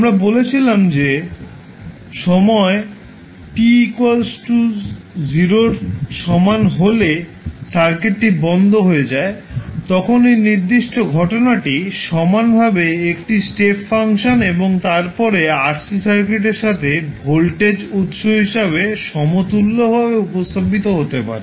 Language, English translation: Bengali, We said that when a particular time t is equal to 0 the circuit is closed then this particular phenomenon can be equivalently represented as a voltage source with 1 step function combined and then the RC circuit